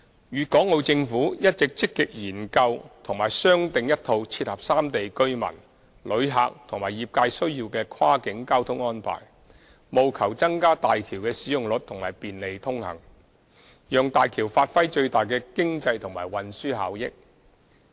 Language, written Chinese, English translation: Cantonese, 粵港澳政府一直積極研究和商訂一套切合三地居民、旅客和業界需要的跨境交通安排，務求增加大橋的使用率及便利通行，讓大橋發揮最大的經濟和運輸效益。, The governments of Guangdong Hong Kong and Macao have been actively studying and negotiating a set of cross - boundary transport arrangements which can meet the needs of local residents travellers and the trades in the three places so as to increase the utilization rate of HZMB ensure convenient access and maximize the economic and transport benefits of HZMB